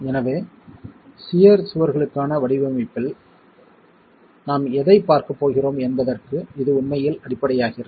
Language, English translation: Tamil, So, this becomes really the basis of what we are going to be looking at in design for shear walls